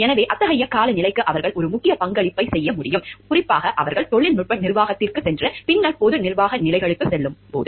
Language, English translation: Tamil, So, they can make a vital contribution to such a climate, especially as they move into technical management and then more into general management positions